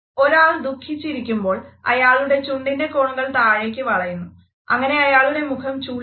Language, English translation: Malayalam, If someone is sad the corner of their lips will curl down, which is where we get the frown from